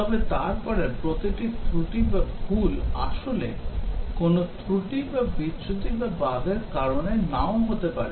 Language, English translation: Bengali, But then every error or mistake may not actually cause a fault, defect or bug